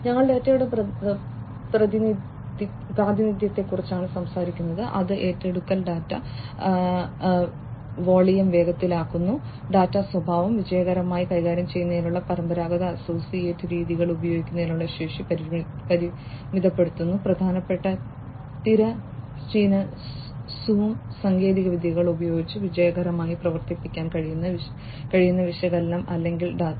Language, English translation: Malayalam, We are talking about representation of data of which acquisition speed the data volume, data characterization, restricts the capacity of using conventional associative methods to manage successfully; the analysis or the data, which can be successfully operated with important horizontal zoom technologies